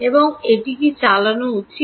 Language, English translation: Bengali, and what should it run